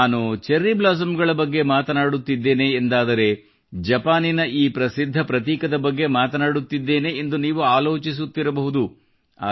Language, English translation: Kannada, You might be thinking that when I am referring to Cherry Blossoms I am talking about Japan's distinct identity but it's not like that